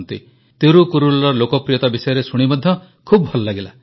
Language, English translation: Odia, It felt nice to learn about the popularity of Thirukkural